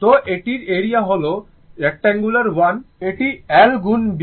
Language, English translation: Bengali, So, area of this one right if it is rectangular 1, it is l into b